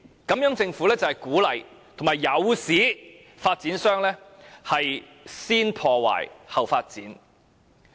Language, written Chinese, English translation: Cantonese, 這樣政府就是鼓勵及誘使發展商"先破壞，後發展"。, In this way the Government is encouraging and inducing developers to destroy first develop later